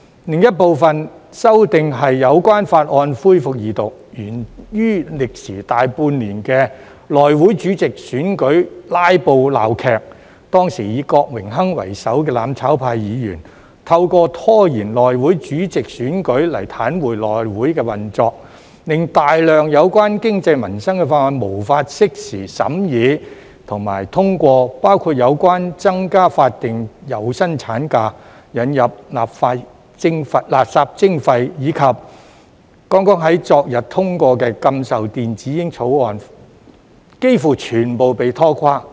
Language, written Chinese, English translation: Cantonese, 另一部分修訂是有關法案的恢復二讀，源於歷時大半年的內務委員會主席選舉"拉布"鬧劇，當時以郭榮鏗為首的"攬炒派"議員，透過拖延內會主席選舉來癱瘓內會運作，令大量有關經濟民生的法案無法適時審議及通過，包括有關增加法定有薪産假、引入垃圾徵費，以及剛剛在昨天通過的禁售電子煙法案，幾乎全部被拖垮。, Another group of amendments is related to the resumption of the Second Reading of bills which arose from the filibuster farce of the election of Chairman of the House Committee HC which had lasted for more than half a year . At that time Members from the mutual destruction camp led by Mr Dennis KWOK paralysed the operation of HC by delaying the election of the Chairman of HC . The move had obstructed the timely scrutiny and passage of a large number of bills relating to the economy and peoples livelihood including the bills relating to the extension of statutory paid maternity leave introduction of waste charging and the ban on electronic cigarettes which was passed yesterday